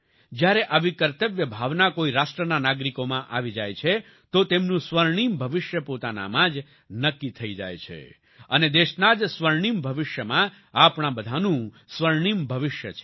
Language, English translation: Gujarati, When such a sense of duty rises within the citizens of a nation, its golden future is automatically ensured, and, in the golden future of the country itself, also lies for all of us, a golden future